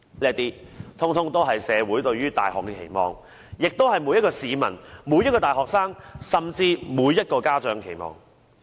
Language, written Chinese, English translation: Cantonese, 這些全也是社會對大學的期望，也是每一個市民、每一個大學生，甚至每一個家長的期望。, These are what society expects universities to fulfil and also what every citizen university student and parent expects universities to fulfil